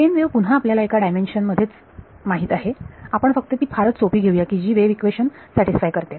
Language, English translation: Marathi, The plane wave we know again in one dimension we will just take it very simple satisfies the wave equation